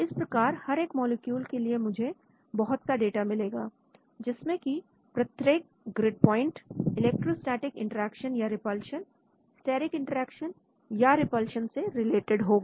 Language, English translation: Hindi, So for each molecule I will get lots of data with respect to each grid point related to the electrostatic interaction or repulsion, steric interaction or repulsion